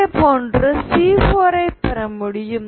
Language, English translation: Tamil, In this case what you have is C1